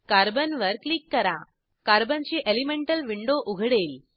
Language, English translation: Marathi, I will click on Carbon Elemental window of Carbon opens